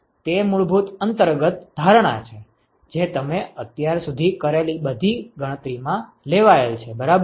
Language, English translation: Gujarati, This is the fundamental underlying assumption that went into all the calculations you have done so far ok